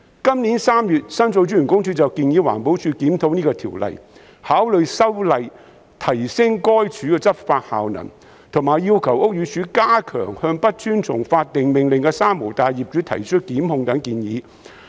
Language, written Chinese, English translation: Cantonese, 今年3月，申訴專員公署建議環保署檢討這項條例，考慮修例提升該署的執法效能，以及要求屋宇署加強向不遵從法定命令的"三無大廈"業主提出檢控。, In March this year the Office of The Ombudsman suggested that EPD review this Ordinance and consider amending it to enhance the enforcement effectiveness of the department . It also requested BD to step up prosecution against owners of three - nil buildings who fail to comply with statutory orders